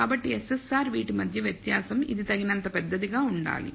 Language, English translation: Telugu, So, SSR which is the difference between this should be large enough